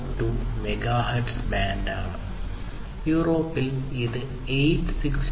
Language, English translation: Malayalam, 42 megahertz band that is used, in Europe it is 868